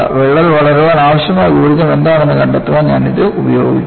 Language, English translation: Malayalam, I will use it for finding out what is the energy required for fracture growth